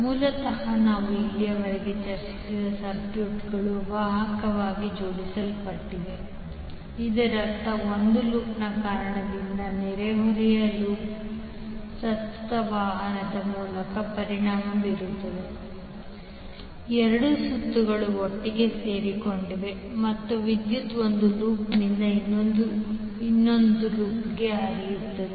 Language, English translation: Kannada, So basically the circuits which we have discussed till now were conductively coupled that means that because of one loop the neighbourhood loop was getting affected through current conduction that means that both of the lops were joint together and current was flowing from one loop to other